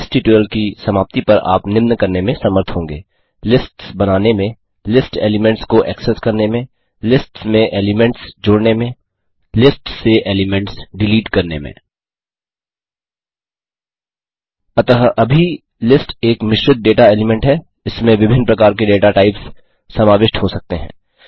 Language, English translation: Hindi, At the end of this tutorial, you will be able to, Create lists Access list elements Append elements to lists Delete elements from lists So now, List is a compound data type, it can contain data of mutually different data types